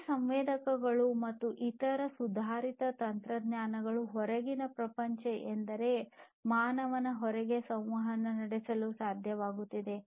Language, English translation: Kannada, These sensors and different other advanced technologies are able to communicate with the outside world that means outside the human beings